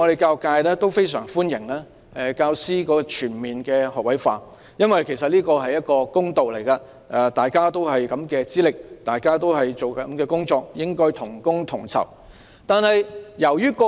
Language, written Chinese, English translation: Cantonese, 教育界普遍非常歡迎教師全面學位化，這是公道問題，大家有同樣的資歷，做相同的工作，應該同工同酬。, The education sector in general welcomes the policy . It is a matter of fairness . Teachers with same qualifications doing the same work should be given the same pay